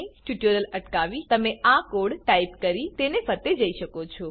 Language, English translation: Gujarati, You can pause the tutorial, and type the code as we go through it